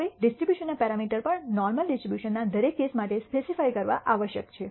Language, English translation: Gujarati, Now, the parameters of the distribution must also be speci ed for every case in the normal distribution